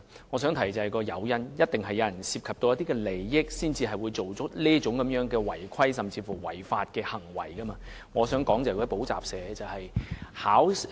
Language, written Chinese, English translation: Cantonese, 我想提出的是誘因，一定有人為了利益才會做出違規行為，甚至違法行為，我所指的是補習社。, What I want to say is related to incentive . There must be people who engage in irregularities or even lawbreaking acts in order to gain profits . I am referring to tutorial schools